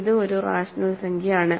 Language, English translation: Malayalam, It is a rational number which is not an integer